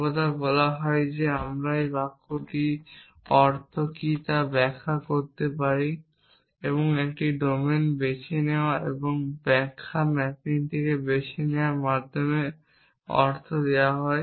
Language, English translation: Bengali, Always saying is that we can interpret what does the sentence mean and the meaning is given by a choosing a domain and choosing an interpretation mapping